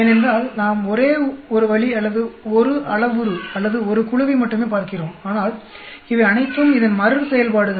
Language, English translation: Tamil, Because we are looking at only one way or one parameter or one group, but these are all repeats of this